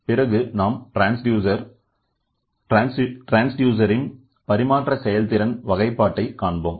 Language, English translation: Tamil, And then we will try to see the transfer efficiency classifications of transducers